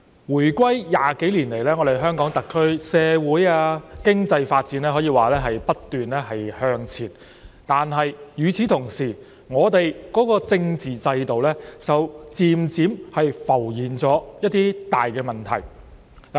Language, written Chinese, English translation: Cantonese, 回歸20多年來，香港特區社會和經濟發展可以說是不斷向前，但與此同時，我們的政治制度卻漸漸浮現一些大問題。, More than 20 years have passed since our return to the Motherland it can be said that the social and economic development of the Hong Kong SAR has kept moving forward . But at the same time some serious problems with our political system have gradually cropped up